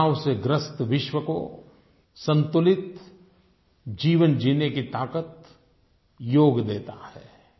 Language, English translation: Hindi, To the world which is filled with stress, Yog gives the power to lead a balanced life